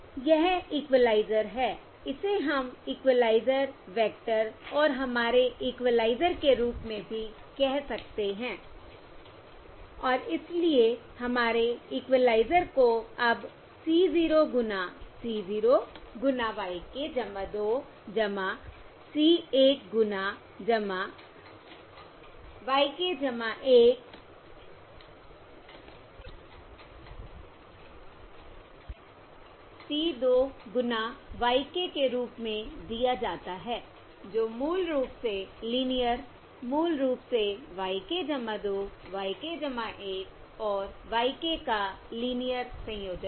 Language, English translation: Hindi, also, we can call this as the equaliser vector and our equaliser and our equaliser, therefore, is now given as c 0 times c, 0 times y k plus 2 plus c, 1 times plus y k plus 1 plus c 2 times y k